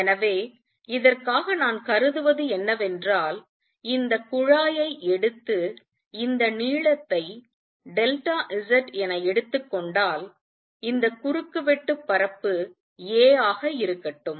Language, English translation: Tamil, So, for this what I will consider is let us take this tube and let this length be delta set and let this cross sectional area be a